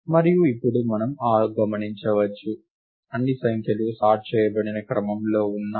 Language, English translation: Telugu, And now we can observe that, all the numbers are in sorted order